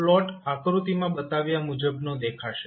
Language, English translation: Gujarati, The plot would look like as shown in the figure